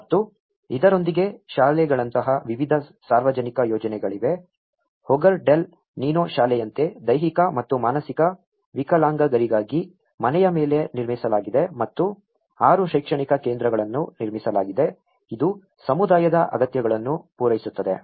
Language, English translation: Kannada, And with this, there has been various public projects like schools, like this one school of Hogar del Nino which has been developed on a house for people with physical and mental disabilities which has been constructed and there is 6 educational centres which has been constructed to cater the needs of the community